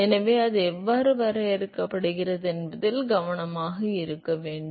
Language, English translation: Tamil, So, you have be careful how it is defined